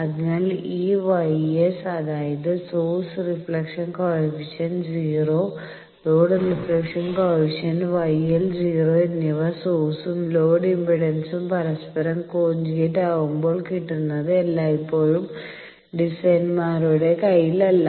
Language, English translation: Malayalam, So, achieving both this gamma S that means, source reflection coefficient 0 and also the load reflection coefficient 0 by making the source and load impedance conjugate to each other, now that always is not at the hand of the designers